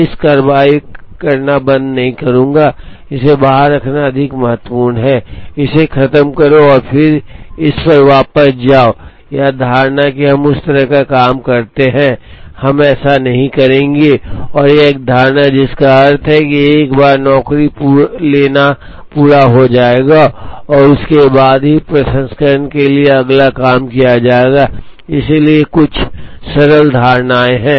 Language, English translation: Hindi, I will not stop processing on this keep it out take the more important one finish it and then get back to this, that assumption we that kind of a thing, we will not do and that is an assumption, which means once taken up a job will be completed and only then the next job will be taken up for processing, so these are some of the simple assumptions